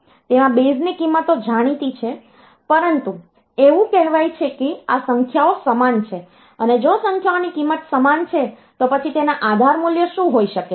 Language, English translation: Gujarati, The base values are not known, but it is said that the numbers are same then the values of the numbers are same then what will what can be the base value fine